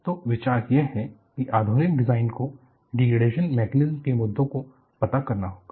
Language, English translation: Hindi, So, the idea is, the modern design will have to address the issue of degradation mechanisms